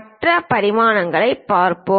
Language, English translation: Tamil, Let us look at other dimensioning